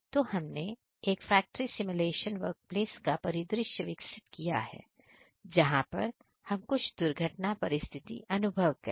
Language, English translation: Hindi, So, we have developed a particular factory simulation fact workplace in scenario where we experience some of the accident situations